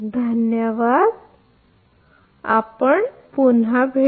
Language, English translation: Marathi, Thank you we will be